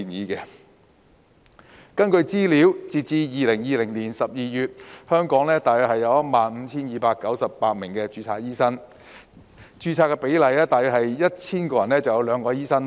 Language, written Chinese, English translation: Cantonese, 根據資料，截至2020年12月，香港大約有 15,298 名註冊醫生，人均註冊醫生比例大約是每 1,000 人只有兩名醫生。, According to available information as at December 2020 there were about 15 298 registered doctors in Hong Kong amounting to a per capita doctor ratio of only 2 doctors per 1 000 population